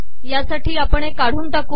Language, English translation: Marathi, Before we do this, lets delete these